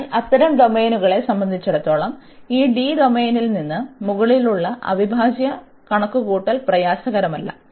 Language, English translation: Malayalam, So, for such domains also it is a not difficult to compute the integral over such over this domain D